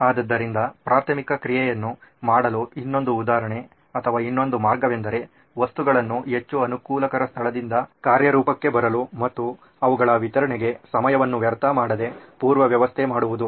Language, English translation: Kannada, So the another example or another way to do preliminary action is pre arrange objects such that they can come into action from the most convenient place and without losing time for their delivery